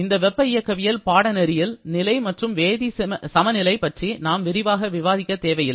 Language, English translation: Tamil, In this course of thermodynamics, we do not have to discuss too much about phase and chemical equilibrium